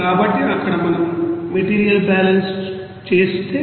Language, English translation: Telugu, So there if we do the you know material balance there